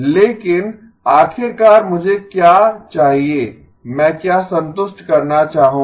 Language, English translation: Hindi, But ultimately what do I need to, what would I like to satisfy